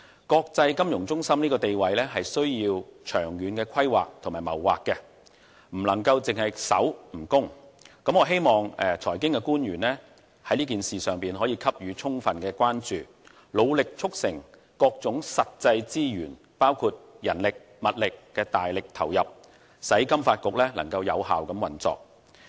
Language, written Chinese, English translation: Cantonese, 國際金融中心地位是需要長遠規劃的，不能只守不攻，我希望財經官員在這件事上給予充分關注，努力促成各種實際資源，包括人力、物力的大力投入，使金發局有效運作。, Maintaining the status of an international financial centre needs long - term planning . We should not stick to defensive strategies all the time without launching any offensive . I hope financial officials can pay full attention to this and endeavour to bring forth actual investments of manpower and material resources so as to enable FSDC to function effectively